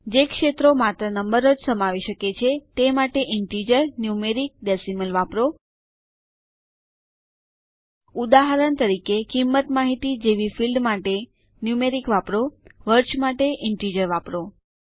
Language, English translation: Gujarati, Use Integer, numeric, decimal for fields that may contain only numbers, For example use numeric for a field with price information, Integer for years